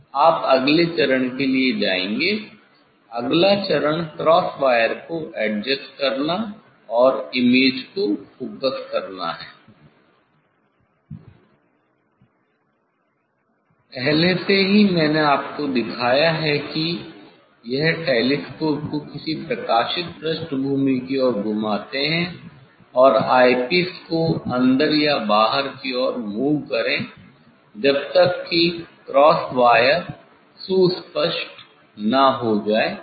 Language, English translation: Hindi, You will go for the next step; next step is adjusting cross wire and focusing image already I have showed you this rotate the telescope towards any illuminated background and move eye piece towards inwards or outwards until the cross wire appear distinct